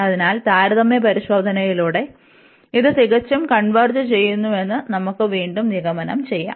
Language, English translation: Malayalam, And by the comparison test, we can again conclude that this also converges absolutely